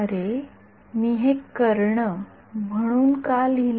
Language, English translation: Marathi, Oh, why did I write this as diagonal